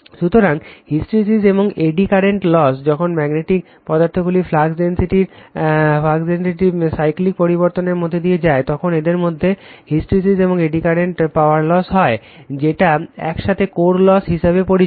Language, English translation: Bengali, So, hysteresis and eddy current losses, when magnetic materials undergoes cyclic variation of flux density right, hysteresis and eddy current power losses occur in them, which are together known as core loss